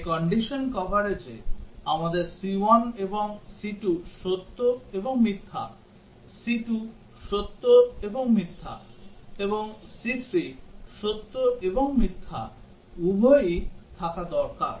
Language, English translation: Bengali, So in condition coverage, we need to have both c 1 and c 2 true and false, c 2 true and false, and c 3 true and false